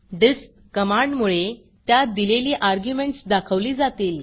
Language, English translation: Marathi, The display is due to the command disp the passed argument is displayed